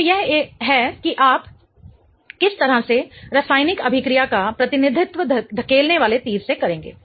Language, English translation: Hindi, Okay, so this is how you would represent the chemical reaction in an arrow pushing way